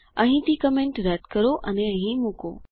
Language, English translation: Gujarati, Delete the comment from here and put it here